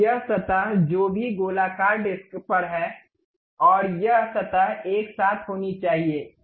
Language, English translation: Hindi, Now, this surface whatever this on the circular disc, and this surface supposed to be together